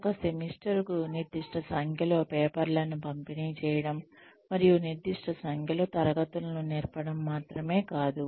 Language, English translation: Telugu, Not only, deliver a certain number of papers and teach a certain number of classes, per semester